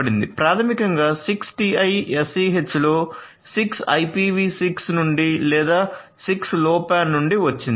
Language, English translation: Telugu, So, this name 6TiSCH basically the 6 comes from IPV 6 or from the 6 of the 6LoWPAN